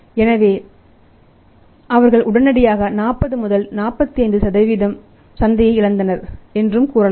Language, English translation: Tamil, So, it means almost you can say that 40 to 45 % market they immediately lost